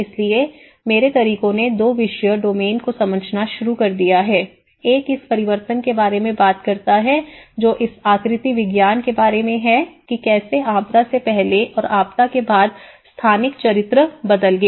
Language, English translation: Hindi, So, my methods have started understanding from two subject domains, one is talking about the change which is about this morphology which how the spatial character has changed before disaster and after disaster